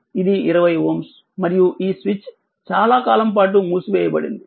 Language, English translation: Telugu, And this is 20 ohm; and this switch was closed for long time